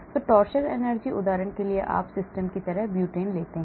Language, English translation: Hindi, So torsion energy, for example if you take a butane like system